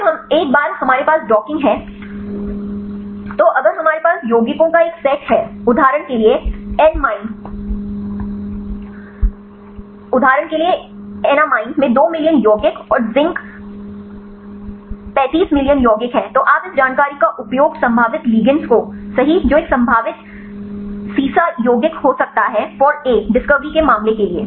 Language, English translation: Hindi, Then once we have the docking then if we have a set of compounds right for example, in the enamine there are two million compounds and the zinc 35 million compounds, you can use this information to pick up the probable ligands right which can be a potential lead compound for a, in the case of in the discovery